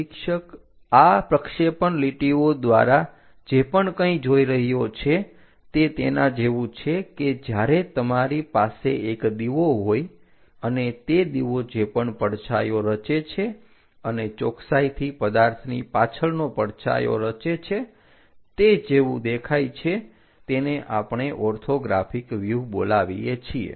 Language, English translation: Gujarati, Observer; whatever he sees by projecting lines is more like if you have a lamp, whatever the shadow it forms and precisely the shadow behind the object the way how it looks like that is what we call this orthographic views